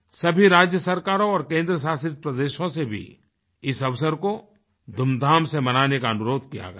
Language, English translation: Hindi, All states and Union Territories have been requested to celebrate the occasion in a grand manner